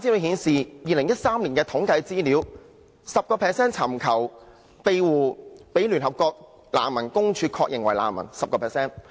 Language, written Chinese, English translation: Cantonese, 2013年的統計資料顯示 ，10% 尋求庇護的人被聯合國難民署確認為難民。, The 2013 statistics show that the identities of 10 % of asylum seekers were confirmed by the United Nations High Commissioner for Refugees as refugees